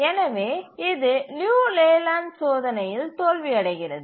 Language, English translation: Tamil, And therefore it fails the Liu Leyland test